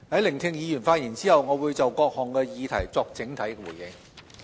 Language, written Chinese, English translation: Cantonese, 聆聽議員發言後，我會就各項議題作整體回應。, After listening to Members speeches I will provide an overall response to various issues